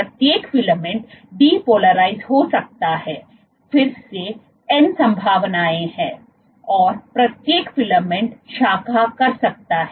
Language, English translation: Hindi, Each filament can depolymerize, again there are n possibilities, and each filament can branch